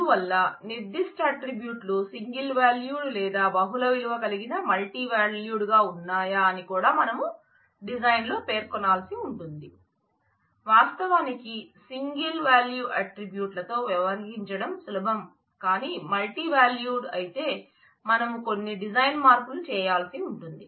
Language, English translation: Telugu, So, we also need to specify whether certain specifying in the design whether certain attributes are single valued or multiple valued multi valued; of course, single value attributes are easy to deal with if it is multi valued we need to do some design changes